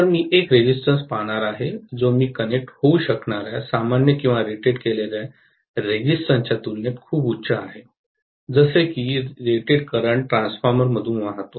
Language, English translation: Marathi, So, I am going to look at a resistance which is way too high as compared to the nominal or rated resistance that I may connect, such that the rated current flows through the transformer